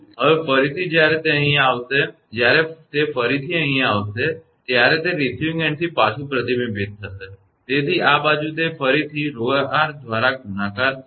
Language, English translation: Gujarati, Now, again when it will come here right when it will be when it will coming here again it will be reflected back from the receiving end therefore, this side again it will be multiplied by rho r